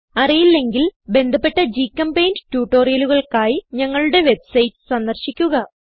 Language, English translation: Malayalam, If not, for relevant GChemPaint tutorials, please visit our website